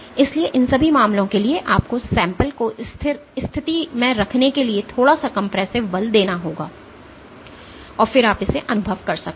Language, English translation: Hindi, So, for all these cases you have to exact a little bit of compressive force in order to keep the sample in position, and then you can do your experience